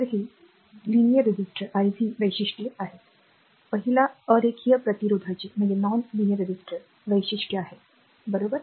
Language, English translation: Marathi, So, this is the iv characteristic of a linear resistor the first one iv characteristic of a non linear resistor, right